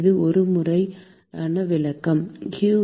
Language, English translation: Tamil, Is it a complete description